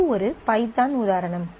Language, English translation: Tamil, So, this is a python example